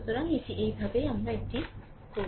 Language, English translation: Bengali, So, this is this is how we do it